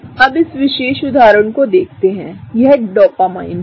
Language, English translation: Hindi, Now, let us look at this particular example, this is Dopamine